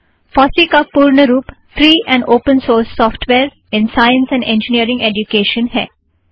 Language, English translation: Hindi, FOSSEE stands for free and open source software in science and engineering education